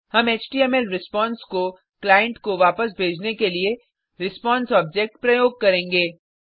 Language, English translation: Hindi, We will use the response object to send the HTML response back to the client side